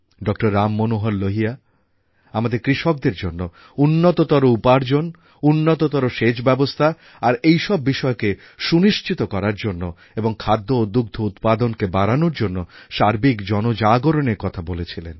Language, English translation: Bengali, Ram Manohar Lal ji had talked of creating a mass awakening on an extensive scale about the necessary measures to ensure a better income for our farmers and provide better irrigation facilities and to increase food and milk production